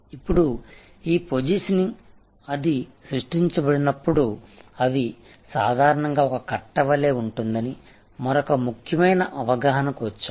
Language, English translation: Telugu, Now, we come to another important understanding that this positioning, when it is created it is usually a bundle